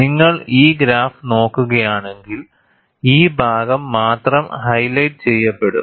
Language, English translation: Malayalam, And if you look at this graph, only this portion is highlighted